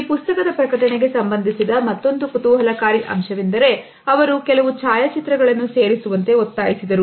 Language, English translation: Kannada, Another interesting aspect which is related with the publication of this book is the fact that he had insisted on putting certain photographs in the book